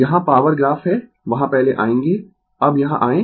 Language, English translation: Hindi, Here power graph is there will come first you come here now